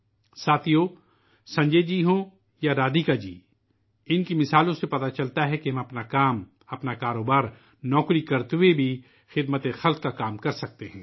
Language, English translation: Urdu, Friends, whether it is Sanjay ji or Radhika ji, their examples demonstrate that we can render service while doing our routine work, our business or job